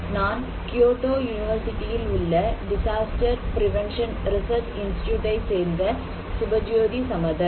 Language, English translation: Tamil, I am Subhajyoti Samaddar, from Disaster Prevention Research Institute, Kyoto University